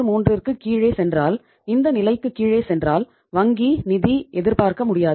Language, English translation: Tamil, 33 if it goes below this level firm cannot expect the bank finance